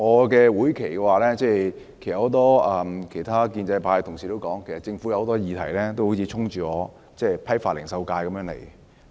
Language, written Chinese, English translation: Cantonese, 在會期內，正如很多其他建制派同事說，有很多議題上政府都好像衝着我代表的批發零售界而來。, As many other pro - establishment colleagues have said the Government seems to have targeted the wholesale and retail constituency that I represent on many issues in this term